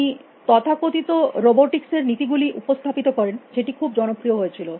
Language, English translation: Bengali, He introduce the so called laws of robotics, which we can many popular